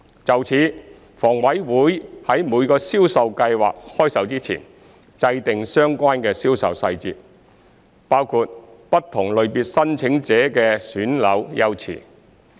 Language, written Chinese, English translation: Cantonese, 就此，房委會於每個銷售計劃開售前，制訂相關銷售細節，包括不同類別申請者的選樓優次。, In this regard before the commencement of each sale exercise HA will work out the details on the sale including the flat selection priority for different categories of applicants